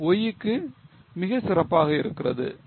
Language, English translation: Tamil, 6 but for Y it is 1